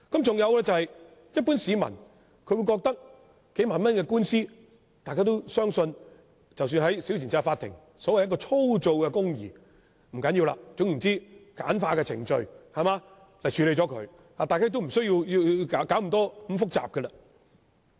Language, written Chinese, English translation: Cantonese, 再者，一般市民認為數萬元的官司，應在審裁處以所謂"粗糙的公義"處理便可，總之應用簡化的程序來處理，無須弄得那麼複雜。, Furthermore the general public thinks that claims for several ten thousand dollars should really be dealt with in SCT for the so - called rough justice . Anyway these cases should be dealt with by simple procedures which having to make things complicated